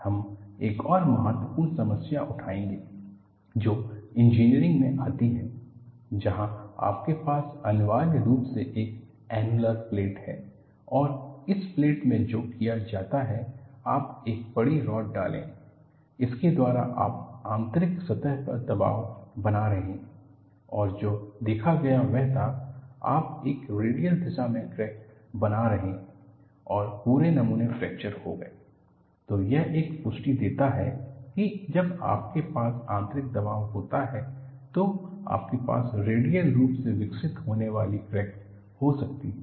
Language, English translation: Hindi, We would take up another important problem, which you come across in engineering, where you have essentially an annular plate; and in this plate, what is done is, you insert a oversized rod, by that you are introducing a pressure on the inner surface, and what was observed was, you find a crack progressing in a radial direction and the whole specimen got fractured